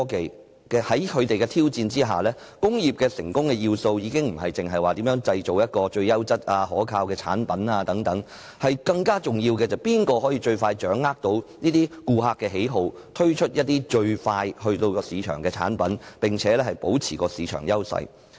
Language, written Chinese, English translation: Cantonese, 在這些科技的挑戰下，工業成功的要素已非單純在於製造最優質可靠的產品，更重要的是誰可最快掌握顧客喜好並最快在市場推出產品，保持市場優勢。, Facing these technological challenges the essential factor to attain industrial success is not simply producing the most reliable products of the best quality but grasping customer preferences and introducing products expeditiously in the market to maintain market advantage